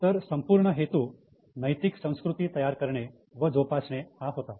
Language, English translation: Marathi, So, the whole purpose was to nurture ethical culture